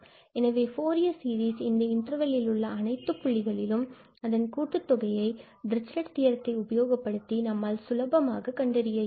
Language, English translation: Tamil, So, concerning the sum of the Fourier series at all points in the interval, we can apply Dirichlet theorem and we can easily find